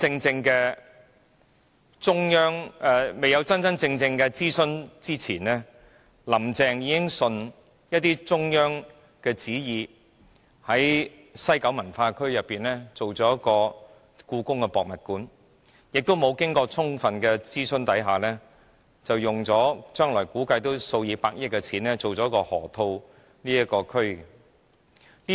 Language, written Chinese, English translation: Cantonese, 在進行真正的諮詢前，林鄭月娥便已順應中央旨意，打算在西九文化區興建香港故宮文化博物館，亦在沒有充分諮詢下，打算花數以百億元來發展落馬洲河套地區。, Before conducting a real consultation Carrie LAM already followed the will of the Central Government to plan for the Hong Kong Palace Museum in the West Kowloon Cultural District . Similarly she planned to spend tens of billion dollars to develop the Lok Ma Chau Loop without sufficient consultation